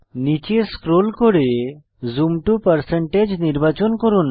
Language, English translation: Bengali, Scroll down the list and select Zoom to%